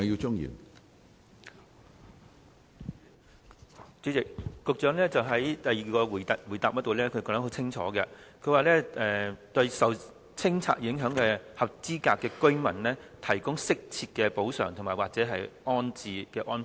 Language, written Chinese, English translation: Cantonese, 主席，局長在主體答覆的第二部分清楚指出，"為受清拆影響的合資格居民提供適切的補償或安置安排"。, President the Secretary has clearly pointed out in part 2 of the mainly reply that they will provide appropriate compensation or rehousing arrangements for eligible residents affected by clearance